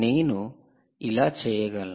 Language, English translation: Telugu, how do you do that